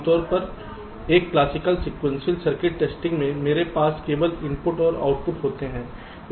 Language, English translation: Hindi, normally in a classical sequential circuit testing these are the only inputs and outputs i have